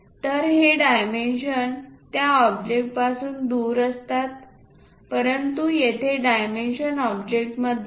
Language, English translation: Marathi, So, these dimensions are away from that object, but here the dimensions are within the object